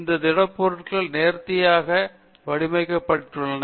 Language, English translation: Tamil, These solids have to be fashioned, designed and fabricated